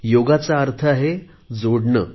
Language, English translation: Marathi, Yoga by itself means adding getting connected